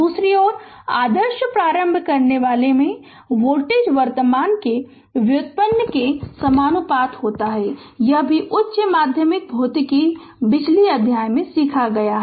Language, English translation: Hindi, On the other hand voltage across the ideal inductor is proportional to the derivative of the current this also you have learned from your high secondary physics electricity chapter right